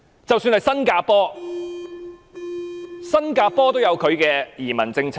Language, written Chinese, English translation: Cantonese, 即使是新加坡也有本身的移民政策。, Even Singapore has its own immigration policy